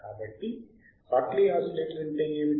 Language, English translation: Telugu, So, what exactly is Hartley oscillator is